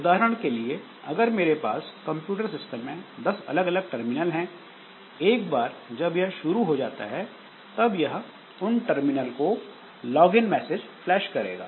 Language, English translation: Hindi, For example, if I have got say 10 different terminals in my computer system, then after the process, the system has initialized, so it should flash login messages to all the 10 terminals